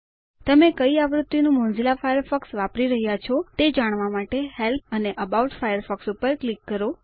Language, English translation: Gujarati, To know which version of Mozilla Firefox you are using, click on Help and About Firefox